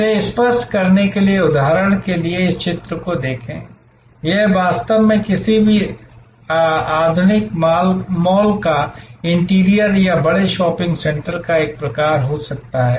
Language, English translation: Hindi, To clarify this, let us for example look at this picture, this could be actually the interior of any modern mall or a sort of large shopping centre